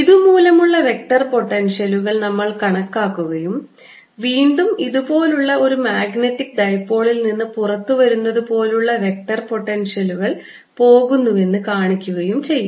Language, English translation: Malayalam, we'll calculate the vector potential due to this and show that vector potential goes to as if it's coming out of a magnetic dipole like this